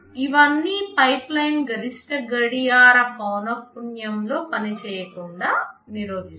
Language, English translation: Telugu, All of these prevent the pipeline from operating at the maximum clock frequency